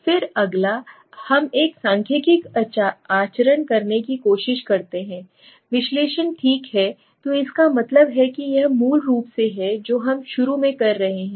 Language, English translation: Hindi, Then next we try to a conduct a statistical analysis okay, so that means this is basically what we are doing initially